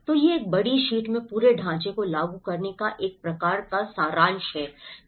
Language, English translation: Hindi, So, this is a kind of summary of applying the whole framework in one big sheet